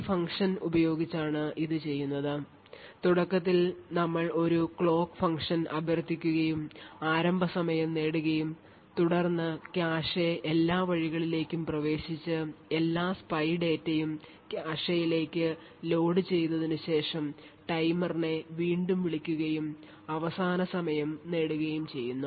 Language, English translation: Malayalam, So the timing is done by this function, where initially we invoke a clock source and get the starting time and then after accessing all the cache ways and loading all the spy data into the cache then we invoke the timer again and get the end time, now the access time is given by end start